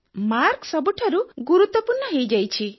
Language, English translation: Odia, Marks have become all important